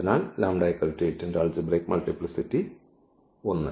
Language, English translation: Malayalam, So, what is the algebraic multiplicity